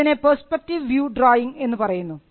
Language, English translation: Malayalam, Here, you have the perspective view drawing